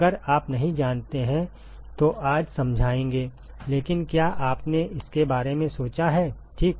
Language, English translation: Hindi, It is if you do not know will explain that today, but did you ponder about it ok